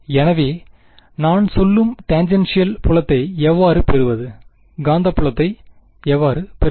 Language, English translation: Tamil, So, how do I get the tangential field I mean, how do I get the magnetic field